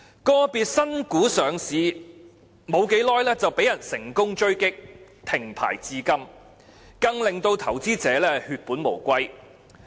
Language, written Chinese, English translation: Cantonese, 個別新股上市不久便被人成功狙擊，停牌至今，更令到投資者血本無歸。, Some new shares have been raided soon after their listing and have since then been suspended from trading thus causing huge losses to investors